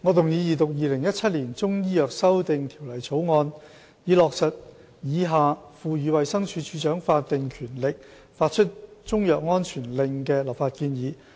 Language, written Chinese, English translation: Cantonese, 主席，我動議二讀《2017年中醫藥條例草案》，以落實以下賦予衞生署署長法定權力發出中藥安全令的立法建議。, President I move the Second Reading of the Chinese Medicine Amendment Bill 2017 the Bill in order to implement the legislative proposal for conferring statutory power on the Director of Health to issue a Chinese medicine safety order